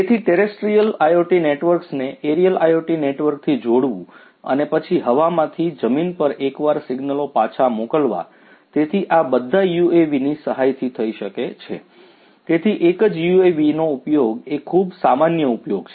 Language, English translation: Gujarati, So, you know connecting the terrestrial IoT networks to the aerial IoT networks and then sending back the signals from the aerial once to the ground; so, all of these could be done with the help of UAVs